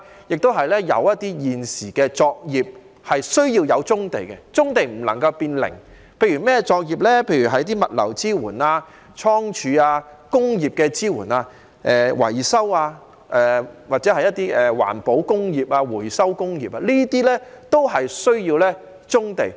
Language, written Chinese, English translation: Cantonese, 現時亦有一些作業需用棕地，棕地不能變"零"，例如是物流支援、倉儲、工業支援、維修、環保工業和回收工業等都需要棕地。, Brownfield sites are currently required for some undertakings and cannot be removed completely . Logistics support storage industrial support maintenance environmental industries and recycling industries need brownfield sites